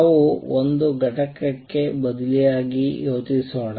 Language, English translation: Kannada, Let us substitute for one of the components